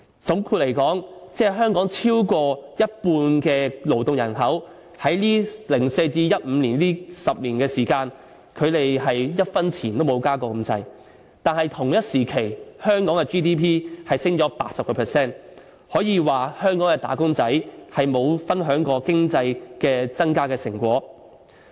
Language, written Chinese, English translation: Cantonese, 總括而言，香港超過一半的勞動人口的工資，在2004年至2015年的10年內，差不多一分錢也沒有增加過，但同時，香港的 GDP 卻上升了 80%， 可說香港的"打工仔"並沒有分享過經濟增長的成果。, In short within the decade from 2004 to 2015 more than half of our working population nearly did not get any increase in pay but at the same time Hong Kongs GDP had risen by 80 % . We can say that the workers in Hong Kong have not shared any fruits of economic development